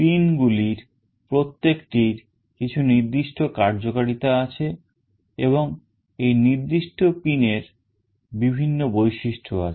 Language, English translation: Bengali, Each of the pins has got certain functionalities and there are various features of this particular pin